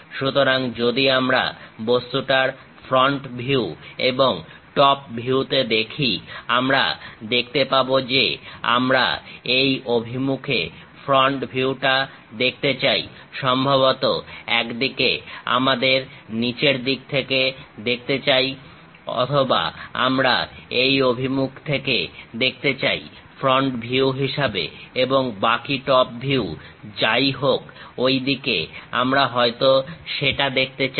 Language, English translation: Bengali, So, if we are looking at front view of the object and top view of the object, we can clearly see that; we would like to view front view in this direction, perhaps we would like to visualize from bottom side one way or we would like to view from this direction as a front view, and the remaining top view whatever we would like to really visualize that we might be showing it in that way